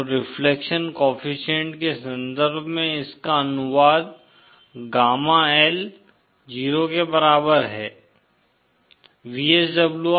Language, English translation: Hindi, So in terms of reflection coefficient, that translates is to gamma L equal to 0